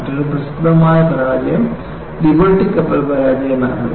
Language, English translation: Malayalam, Another famous failure was Liberty ship failure